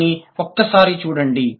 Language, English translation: Telugu, So, just have a look at it